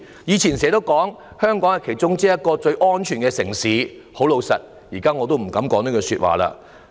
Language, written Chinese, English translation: Cantonese, 過去我們經常說香港是其中一個最安全的城市，但我現在已不敢再說這句話了。, In the past we often said that Hong Kong was one of the safest cities in the world but now I dare not say it again